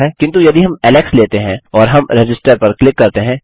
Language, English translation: Hindi, But if we take say alex and we click Register, its taken into account